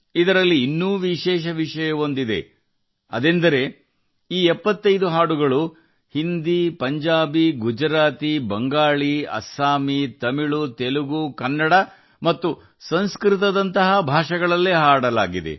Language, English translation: Kannada, What is more special in this is that these 75 songs were sung in languages like Hindi, Punjabi, Gujarati, Bangla, Assamese, Tamil, Telugu, Kannada and Sanskrit